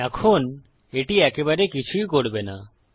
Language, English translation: Bengali, Now this would do absolutely nothing